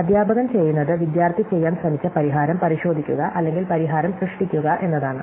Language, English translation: Malayalam, So, what the teacher is doing is checking the solution that the student was trying to do or generate the solution